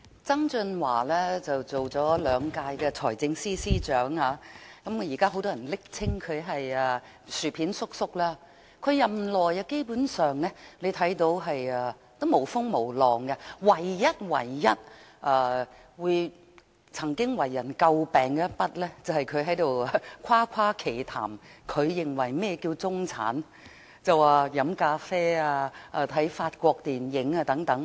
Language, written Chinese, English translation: Cantonese, 曾俊華擔任了兩屆財政司司長，現時很多人暱稱他為"薯片叔叔"，他在任內基本上沒有風浪，唯一一次為人詬病的是他誇誇其談地說何謂中產，他說喝咖啡和看法國電影等便是中產。, Many people now call him Mr Pringles . As the Financial Secretary he basically met no trouble . The only time he came under any criticism was when he defined the middle class as people who drink coffee and watch French movies